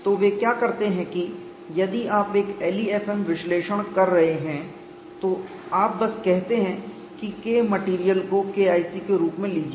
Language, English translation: Hindi, So, what they do is if you're doing a l e f m analysis, you simply say take K material as K1c